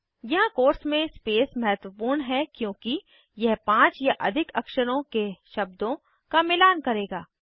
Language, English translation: Hindi, Here the space within the quotes is important as it would match 5 or more letter words